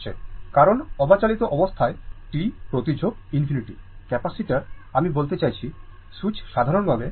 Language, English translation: Bengali, Because, at steady state or at in t tends to infinity, your capacitor I mean, switch in general